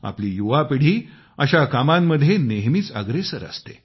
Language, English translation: Marathi, Our young generation takes active part in such initiatives